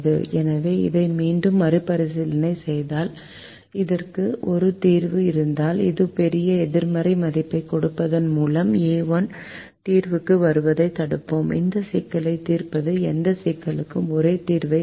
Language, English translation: Tamil, so once again, revisiting this, we said that if this has a solution, then by putting a large negative value we will prevent a one from coming into the solution and solving this problem will give the same solution to that of this problem